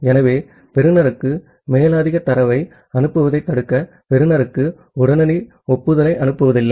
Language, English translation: Tamil, So, the receiver will not send immediate acknowledgement to the sender to prevent the sender to send further data to the receiver